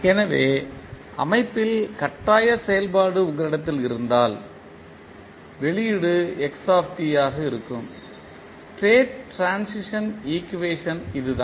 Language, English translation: Tamil, So, this is what you got the state transition equation that is the output xt when you have forcing function present in the system